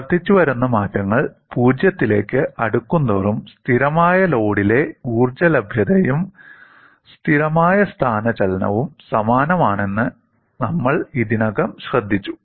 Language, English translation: Malayalam, We have already noted, as the incremental changes become closer to 0, the energy availability in constant load as well as constant displacement is identical